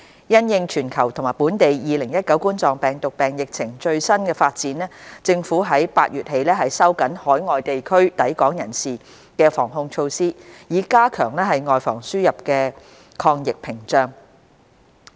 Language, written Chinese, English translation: Cantonese, 因應全球及本地2019冠狀病毒病疫情最新發展，政府在8月起收緊海外地區抵港人士的防控措施，以加強外防輸入的抗疫屏障。, In view of the latest developments of the global and local COVID - 19 epidemic situation the Government implemented in August various measures to tighten the inbound prevention and control measures for travellers arriving at Hong Kong from overseas places in order to build an anti - epidemic barrier to prevent the importation of cases